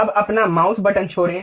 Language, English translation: Hindi, Now, release your mouse button